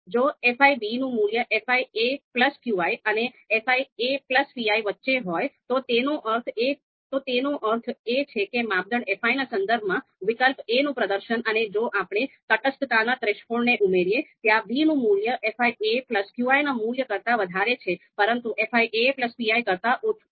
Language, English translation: Gujarati, If the value of fi b is in between fi a plus qi, and fi a plus pi, that means the performance of alternative a with respect to criterion fi and if we add the you know you know you know this you know indifference threshold there, so the value of b is higher than this value fi a plus qi, but lower than fi a plus pi